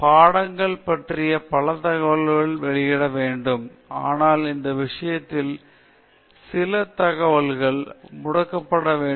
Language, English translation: Tamil, And several information about the subjects need to be published, but certain information about the subject should be withheld